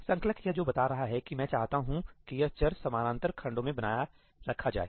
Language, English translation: Hindi, What it is telling the compiler is that I want this variable to be retained across parallel sections